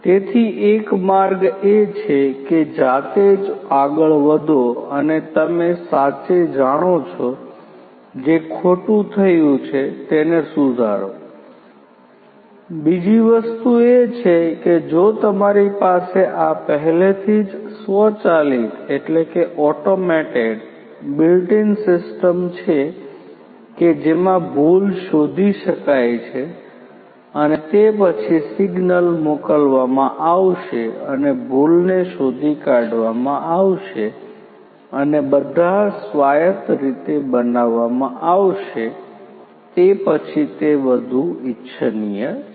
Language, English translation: Gujarati, So, one way is to manually go and you know correct, correct whatever it has gone wrong the other thing could be that if you already have this automated system built in which will detect the error and then that will be detected the signals will be sent and the corrections are going to be made all autonomously then that is what is more desirable